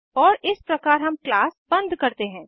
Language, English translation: Hindi, And this is how we close the class